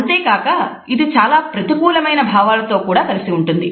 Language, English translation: Telugu, And this is also associated with many negative feelings